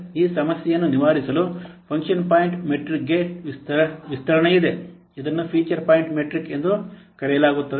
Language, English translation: Kannada, In order to overcome this problem, an extension to the function point metric is there, which is known as feature point metric